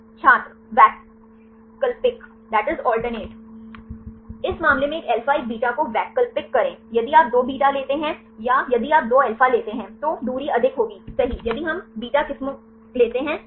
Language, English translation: Hindi, Alternate Alternate one alpha one beta in this case if you take 2 beta or if you take 2 alpha, the distance will be more right if we take the beta strands right